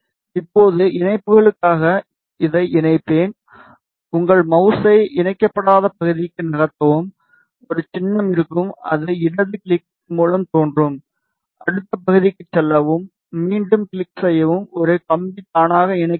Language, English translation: Tamil, Now, I will connect this for connections just move your mouse to the unconnected part, a symbol will appear just left click and go to the next part, click again a wire will automatically be connected